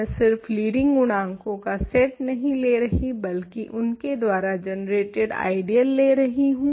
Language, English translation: Hindi, I am not taking the set of these leading coefficients of course, that is certainly not an ideal I am taking the ideal generated by